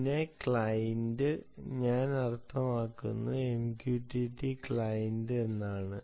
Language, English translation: Malayalam, when i say client, i mean mqtt, client